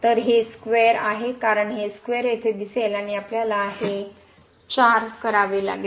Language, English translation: Marathi, So, this is square because of the square this square will appear here, and we have to make this 4